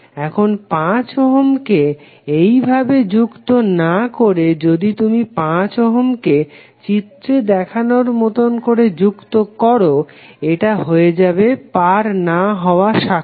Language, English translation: Bengali, Instead of putting 5 ohm like this if you put 5 ohm as shown in this figure, it will become non cutting branch